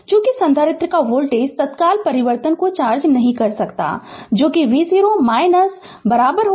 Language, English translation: Hindi, Since, the voltage of a capacitor cannot charge your change instantaneously that is v 0 minus is equal to v 0